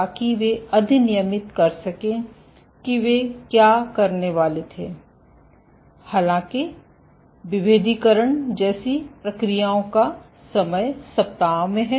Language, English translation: Hindi, So, that they can enact what they supposed to do; however, processes like differentiation this is weeks in time